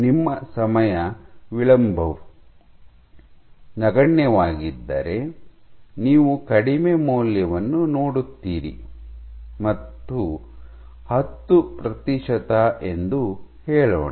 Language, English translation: Kannada, So, if your time delay is negligible you would see a low value, let us say 10 percent